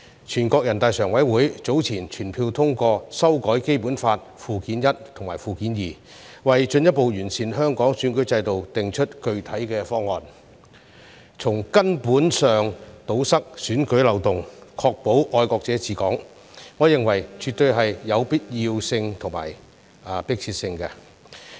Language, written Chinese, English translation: Cantonese, 全國人民代表大會常務委員會早前全票通過修改《基本法》附件一及附件二，為進一步完善香港選舉制度訂定具體方案，從根本上堵塞選舉漏洞，確保"愛國者治港"，我認為絕對有必要性和迫切性。, Some time ago the Standing Committee of the National Peoples Congress endorsed unanimously the amendment of Annexes I and II to the Basic Law setting out specific plans to further improve the electoral system in Hong Kong with a view to plugging the loopholes of elections at root and ensuring patriots administering Hong Kong . This I think absolutely has necessity and urgency